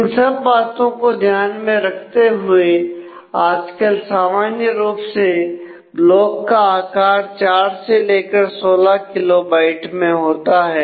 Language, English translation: Hindi, So, with all that consideration the typical blocks size that use today is 4 to 16 kilobytes